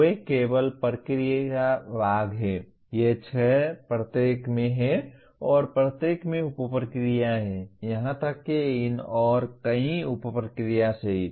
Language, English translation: Hindi, They only the process part is these six in each and each one has sub processes; including even these and several sub processes